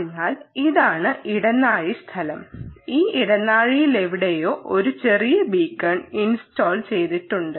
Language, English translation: Malayalam, so this is the corridor space, and somewhere in this corridor space there is a small beacon which is installed